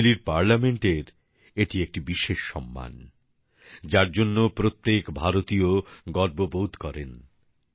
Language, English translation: Bengali, This is a special honour by the Chilean Parliament, which every Indian takes pride in